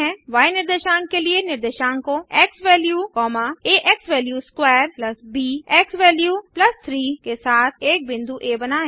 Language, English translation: Hindi, Plot a point A with coordinates xValue, a xValue^2 + b xValue + 3 for the y coordinate